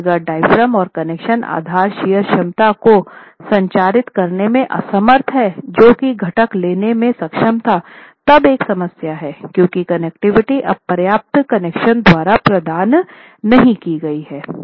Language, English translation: Hindi, But if the diaphragm and the connections are unable to transmit the bas shear capacity that the component was able to take, you have a problem because the connectivity is now not provided by adequate connections